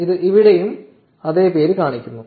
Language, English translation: Malayalam, So, this shows the same name here too